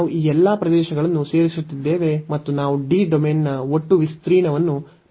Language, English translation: Kannada, So, we are adding all these areas, and we will get the total area of the domain D